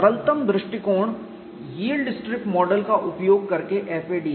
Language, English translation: Hindi, Simplest approach is FAD using yield strip model